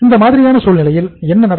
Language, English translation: Tamil, So in that case what will happen